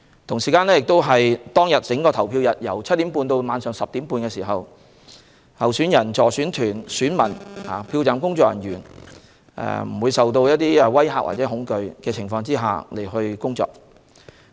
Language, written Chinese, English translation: Cantonese, 整個投票日由早上7時30分至晚上10時30分，候選人、助選團、選民及票站工作人員須在不受威嚇和恐懼的情況下工作。, The polling hours will be from 7col30 am to 10col30 pm . Candidates electioneering teams electors and polling station staff must work or vote without being intimidated or scared